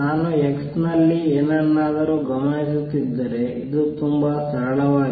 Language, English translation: Kannada, This is very simple this, if I am observing something at x